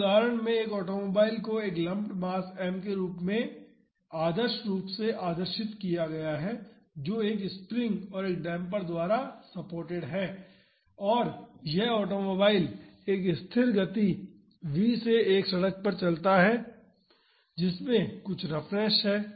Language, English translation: Hindi, In this example an automobile is crudely idealized as a lumped mass m supported by a spring and a damper, and this automobile travels at a constant speed v over a road which has some roughness